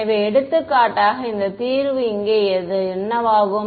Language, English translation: Tamil, So, for example, this solution over here, what will it become